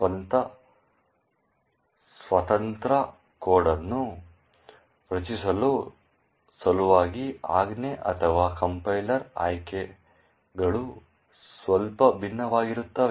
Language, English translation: Kannada, In order to generate position independent code, the command or the compiler options are slightly different